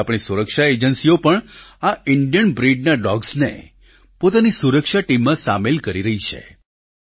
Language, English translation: Gujarati, Now, our security agencies are also inducting these Indian breed dogs as part of their security squad